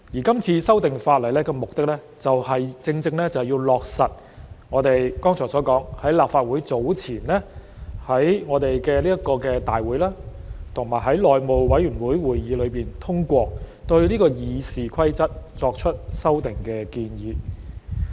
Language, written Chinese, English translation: Cantonese, 今次修訂法例的目的，正正是要落實我剛才提到，早前在立法會會議及內務委員會會議上通過對《議事規則》作出修訂的建議。, The objective of the legislative amendments is to implement the proposal to amend the Rules of Procedure as I mentioned earlier which was endorsed at the meetings of the Legislative Council and the House Committee some time ago